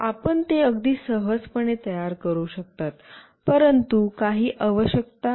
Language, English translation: Marathi, You can build it very easily, but there are certain requirements